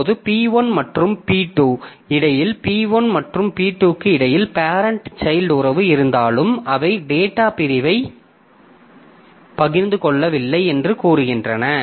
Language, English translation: Tamil, Now, the difficulty that we have seen previously between P1 and P2, even if they are, so even if there is a parent child relationship between P1 and P2, say they do not share the data segment between them